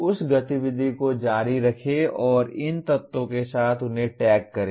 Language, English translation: Hindi, Continue that activity and tag them with these elements